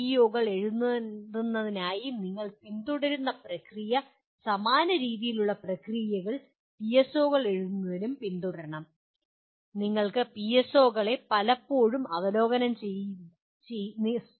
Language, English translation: Malayalam, The kind of process that we followed for writing PEOs the same, similar kind of process should be followed by for writing PSOs as well